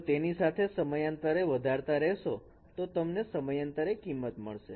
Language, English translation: Gujarati, If I extend it periodically with this one, you will get a periodic value